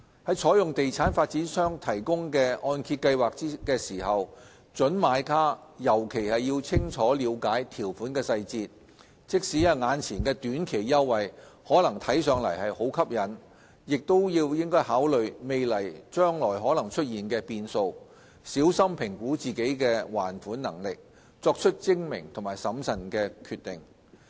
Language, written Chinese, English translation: Cantonese, 在採用地產發展商提供的按揭計劃時，準買家尤其應清楚了解條款細節，即使眼前的短期優惠可能看上去很吸引，亦應該考慮未來可能出現的變數，小心評估自身的還款能力，作出精明和審慎的決定。, In particular prospective buyers should ensure that they fully understand the detailed terms and conditions if they opt for the mortgage plans offered by property developers . While the incentives may look attractive in the short term prospective buyers should take into account any changes that may occur in the future assess carefully their repayment ability and make a shrewd and prudent decision